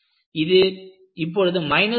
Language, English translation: Tamil, Now, it has been brought down to something like minus 4